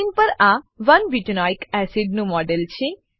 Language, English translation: Gujarati, This is the model of 1 butanoic acid on screen